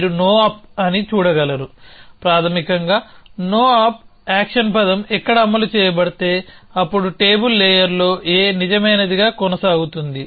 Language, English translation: Telugu, You can see that no op, basically say where if the no op action word to be executed then on table layer would continue to be true a